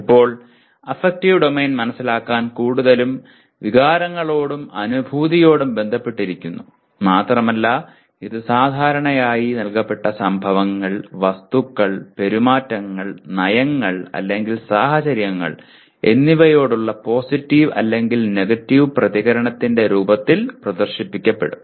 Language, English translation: Malayalam, Now, to understand the affective domain is mostly associated with the feelings and emotions and it is usually displayed in the form of positive or negative reaction to given events, objects, behaviors, policies or situations